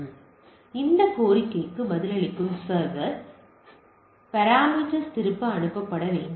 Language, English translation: Tamil, So, that the server which is responding to this request should also should also send back this are the parameter